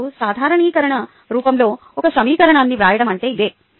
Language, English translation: Telugu, ok, now that is what is meaning of writing an equation in normalized form